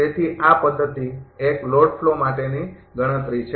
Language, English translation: Gujarati, So, this is the calculation for method 1 load flow